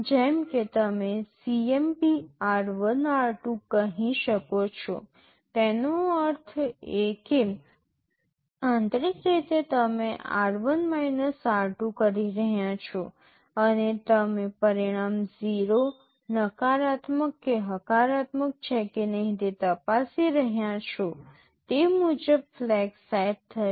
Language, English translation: Gujarati, Like you can say CMP r1,r2; that means, internally you are doing r1 r2 and you are checking whether result is 0, negative or positive, accordingly the flags will be set